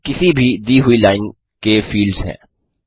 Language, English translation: Hindi, The following are the fields in any given line